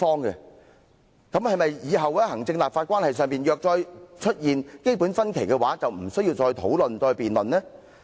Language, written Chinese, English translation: Cantonese, "那麼，若以後行政立法關係出現"基本分歧"，是否也不用討論和辯論？, So does it mean that should a fundamental difference of opinion arise with respect to the executive - legislature relationship in the future it will not be necessary to discuss and debate it?